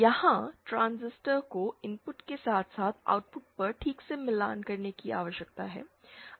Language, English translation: Hindi, Here the transistor needs to be properly matched at the input as well as at the output